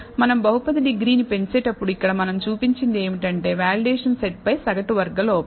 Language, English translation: Telugu, So, as we increase the degree of the polynomial, here what we have shown is the mean squared error on the validation set